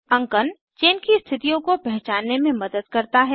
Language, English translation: Hindi, Numbering helps to identify the chain positions